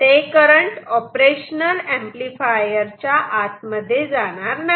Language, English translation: Marathi, Here no current can go into the op amp